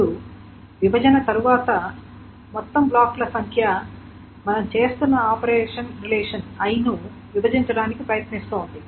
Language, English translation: Telugu, Now, the total number of blocks after the partitioning, so this is trying to partition relation I, trying to partition relation I